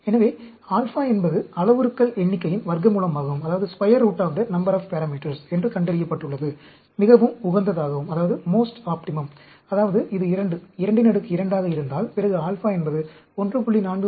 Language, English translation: Tamil, So, it has been found that, alpha, square root of the number of parameters is way, is most optimum; that means, if it is a 2, 2 raised to the power 2, then, alpha should be 1